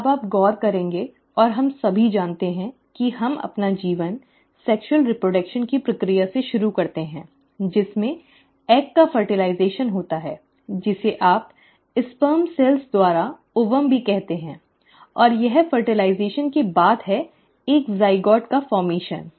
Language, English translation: Hindi, Now you would notice and we all know this that we start our life through the process of sexual reproduction, wherein there is fertilization of the egg, which is also what you call as the ovum by the sperm cells, and it is after fertilization that there is a formation of a zygote